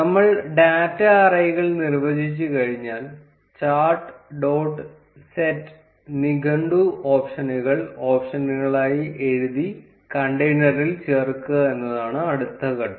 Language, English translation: Malayalam, Once we have defined the data arrays, the next step is to add it to the container by writing chart dot set dictionary options to be options